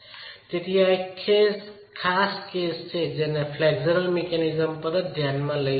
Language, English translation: Gujarati, So, this is a special case that we can consider of flexual mechanism itself